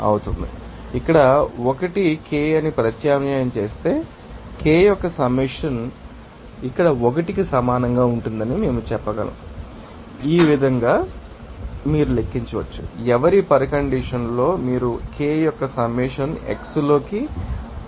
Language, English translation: Telugu, So, here if I substitute here yi as Ki, so, we can say that summation of Ki will be equal to 1 here also in this way you can calculate that at for whose condition you can get the summation of Ki into xi will be equal to 1